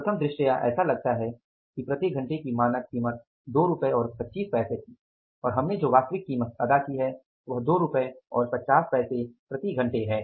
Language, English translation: Hindi, Prime of say it looks like that the standard price per hour was 2 rupees and 25 pisa and actual price we have paid is 2 rupees and 50 per hour